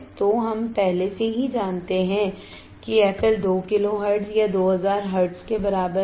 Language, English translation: Hindi, So, we already know f L is equal to 2 kilo hertz or 2000 hertz